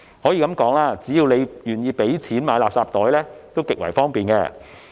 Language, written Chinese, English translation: Cantonese, 可以說，只要大家願意付費購買垃圾袋，也極為方便。, It can be said that it would be extremely convenient as long as people are willing to pay for these garbage bags